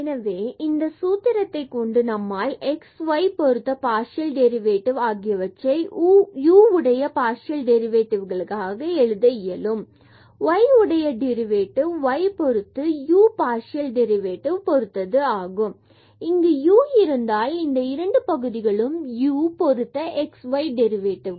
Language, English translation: Tamil, We can use this formula to get the partial derivative of this z with respect to u is equal to the partial derivative of z with respect to x and partial derivative of x with respect to u plus partial derivative of z with respect to y and partial derivative of y with respect to u again because we are differentiating partially z with respect to u